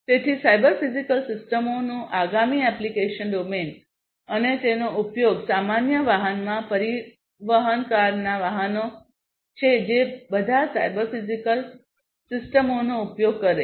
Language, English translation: Gujarati, So, the next application domain of cyber physical systems and their use is transportation cars vehicles in general aircrafts they all use cyber physical systems